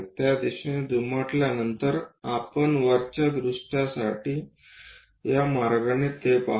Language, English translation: Marathi, That after folding it into that direction we see it in this way for the top view